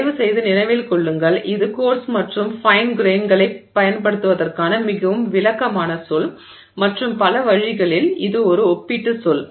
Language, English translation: Tamil, And please remember this is a very descriptive term to use coarse grain versus fine grain and in many ways this is a relative term